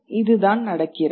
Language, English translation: Tamil, And why does this happen